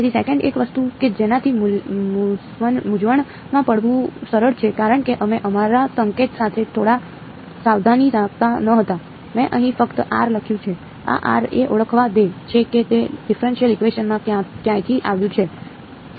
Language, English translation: Gujarati, So, another thing that is easy to get confused by because we were being a little not very careful with our notation, I have simply written r over here right, this r lets identify where it came from in the differential equation ok